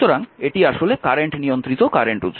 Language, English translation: Bengali, This is for example, say current controlled current source